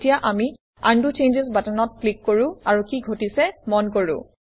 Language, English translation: Assamese, Now, let us click on the Undo Changes button, and see what happens